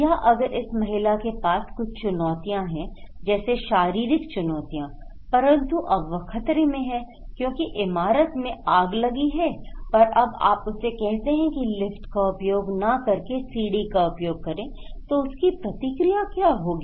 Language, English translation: Hindi, Or if this lady having some challenges, physical challenges is at risk because there is a fire and now you are saying to him that don’t use the staircase because it is in fire